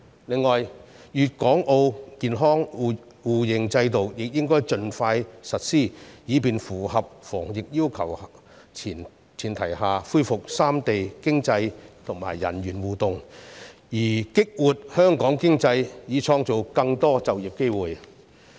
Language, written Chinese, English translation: Cantonese, 此外，粵港澳健康碼互認制度亦應盡快實施，以便在符合防疫要求的前提下，恢復三地經濟及人員互動，從而激活香港經濟，創造更多就業機會。, Moreover the mutual recognition system for health codes of Guangdong Hong Kong and Macao should be implemented as soon as possible so that economic and personnel interactions among the three places can resume on the premise of meeting the infection control requirements thereby boosting the Hong Kong economy and creating more employment opportunities